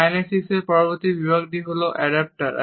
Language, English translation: Bengali, The next category of kinesics is Adaptors